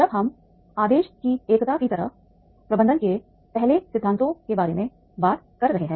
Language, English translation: Hindi, Then when we are talking about suppose the first principles of management like the unity of command